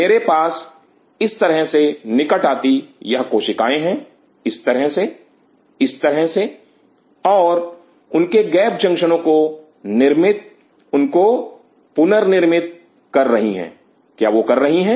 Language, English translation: Hindi, I have these cells coming close like this, like this, like this and forming those reforming those gap junctions are they doing that